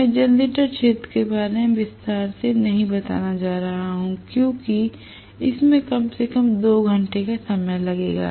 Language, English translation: Hindi, I am not going to elaborate further on the generator region because that will take it is own 2 hours at least